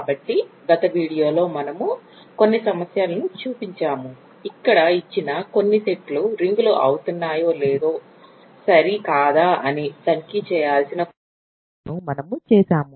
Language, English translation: Telugu, So, we have shown that in the last video we have shown some problems we just done some problems where we have to check if some given sets rings or not ok